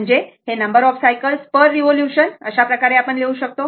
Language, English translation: Marathi, So, this can be written as number of cycles per revolution into number of revolution per second